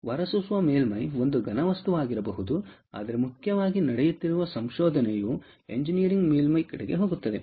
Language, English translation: Kannada, the emitter surface can be a solid material, but, more importantly, the research that is happening is going towards engineered surface